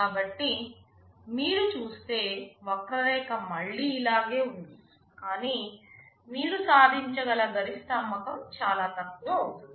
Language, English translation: Telugu, So, you see the curve will be similar again, but the peak or the maximum sale can that you can achieve is becoming much less